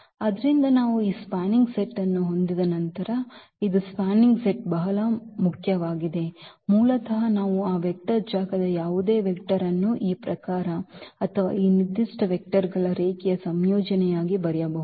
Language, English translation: Kannada, So, this is spanning set is very important once we have this spanning set basically we can write down any vector of that vector space in terms of these given or as a linear combination of these given vectors